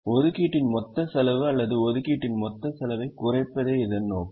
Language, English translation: Tamil, the objective is to minimize the total cost of assignment or total cost of allocation